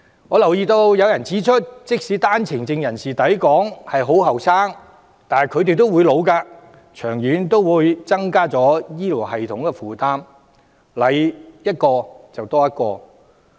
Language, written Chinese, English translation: Cantonese, 我留意到有人指出，即使單程證人士抵港時很年輕，但他們也會年老和生病，長遠也會增加醫療系統的負擔，多來一個人負擔便會加重。, I have taken notice of the comment that OWP holders who come to Hong Kong at a young age will one day grow old and fall ill eventually adding to the burden of the health care system . Hence each additional arrival will mean an additional burden to us